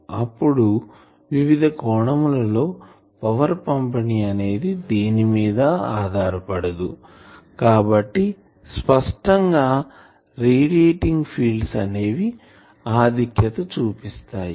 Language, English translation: Telugu, Then angular power distribution is not dependent on so, one thing is; obviously, it is radiating fields dominate